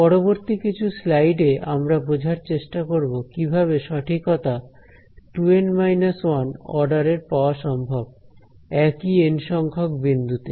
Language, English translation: Bengali, So, the next few slides, we will try to understand how we can get an accuracy of order 2 N minus 1 keeping the same N points ok